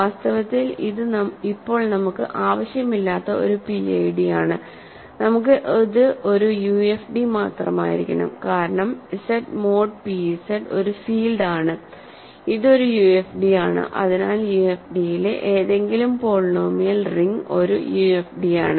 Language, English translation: Malayalam, In fact, it is a PID which we do not need for now, we only need that it is a UFD because Z mod p Z is a field; it is a UFD, so any polynomial ring in over a UFD is UFD